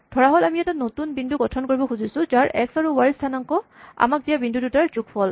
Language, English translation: Assamese, Let us assume that we want to construct a new point whose x coordinate and y coordinate is the sum of the two points given to us